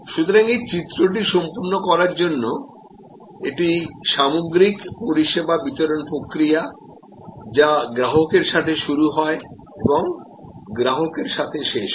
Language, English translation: Bengali, So, to complete this diagram therefore, this is the overall service delivery process which starts with customer and ends with the customer